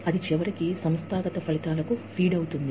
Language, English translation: Telugu, That, eventually feeds into, organizational outcomes